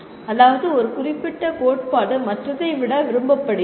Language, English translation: Tamil, That means one particular theory is preferred over the other